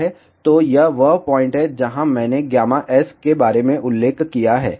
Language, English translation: Hindi, So, this is the point where I mentioned about gamma S